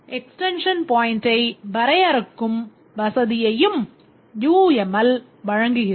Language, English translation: Tamil, UML also provides the facility to define an extension point